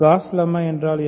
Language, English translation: Tamil, What is Gauss lemma